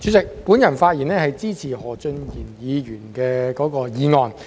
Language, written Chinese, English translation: Cantonese, 主席，我發言支持何俊賢議員的議案。, President I rise to speak in support of the motion moved by Mr Steven HO